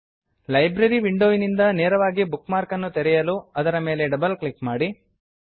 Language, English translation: Kannada, To open a bookmark directly from the Library window, simply double click on it